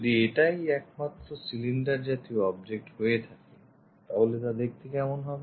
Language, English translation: Bengali, If it is only cylindrical kind of objects, how the view really looks like